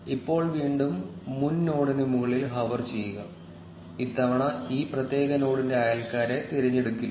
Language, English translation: Malayalam, Now again hover over the previous node, this time the neighbors of this particular node will not be selected